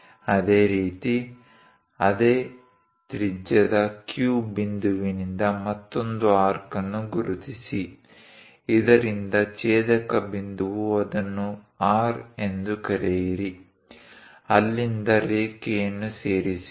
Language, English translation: Kannada, Similarly, from Q point with the same radius; mark another arc so that the intersection point call it as R, from there join the line